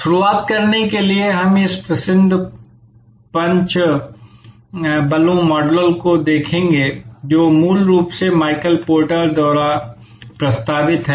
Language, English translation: Hindi, To start with we will look at this famous five forces model, originally proposed by Michael porter